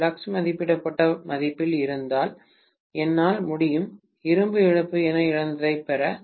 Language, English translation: Tamil, If the flux is at rated value, I should be able to get whatever is lost as the iron loss